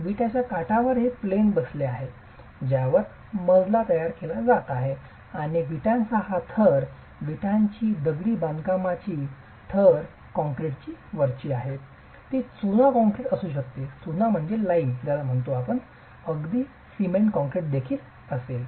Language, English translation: Marathi, The edge of the brick is what is sitting on the plane on which the floor is being constructed and this layer of bricks, the brick masonry layer, is topped by concrete